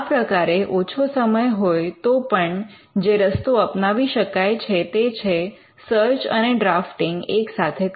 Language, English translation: Gujarati, So, one approach even, if there is insufficient time is to do both the search and the drafting simultaneously